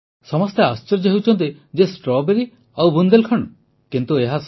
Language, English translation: Odia, Everyone is surprised Strawberry and Bundelkhand